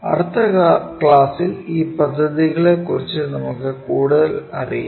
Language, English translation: Malayalam, In the next class, we will learn more about these planes